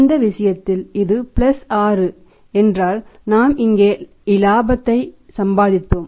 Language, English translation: Tamil, In this case it is +6 here it is 6 because we had earned profit here we have lost profit here